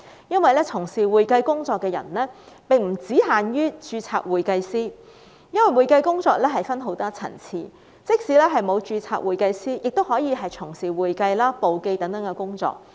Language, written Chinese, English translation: Cantonese, 因為從事會計工作的並不限於註冊會計師，會計工作分很多層次，即使不是註冊會計師，亦可以從事會計、簿記等工作。, Certified public accountants are not the only persons who engage in the accounting work . There are many levels of accounting work and people can perform accounting bookkeeping and other duties even if they are not certified public accountants